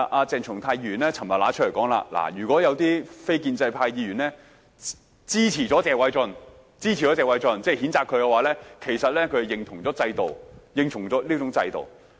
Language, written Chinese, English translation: Cantonese, 鄭松泰議員昨天說，如果有些非建制派議員支持謝偉俊議員的議案，其實就是認同了這種制度。, Yesterday Dr CHENG Chung - tai said if non - establishment Members should support Mr Paul TSEs motion they would be approving of the system